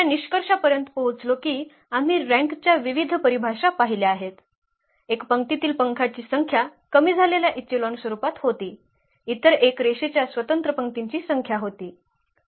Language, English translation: Marathi, Coming to the conclusion what we have seen the various definitions of the rank, one was the number of pivots in the in the row reduced echelon form, the other one was the number of linearly independent rows